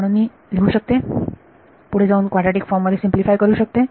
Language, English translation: Marathi, So, I can write, further simplify this in the quadratic form